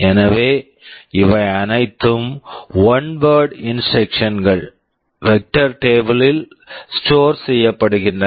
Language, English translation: Tamil, So, these are all one word instructions are stored in the vector table